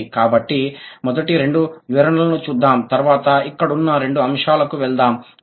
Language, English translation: Telugu, So, let's look at the first two, these two statements, then we'll go to the next two points over here